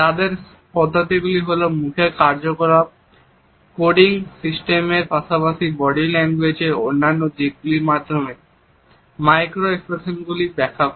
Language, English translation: Bengali, Their methodology is to interpret micro expressions through facial action, coding system as well as other aspects of body language